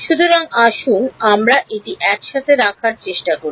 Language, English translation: Bengali, So, let us try to put it together